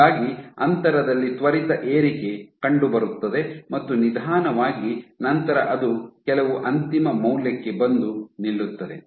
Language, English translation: Kannada, So, there is an instantaneous increase in gap and then it slows down to some eventual value